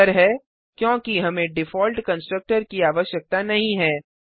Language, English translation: Hindi, The answer is we dont need the default constructor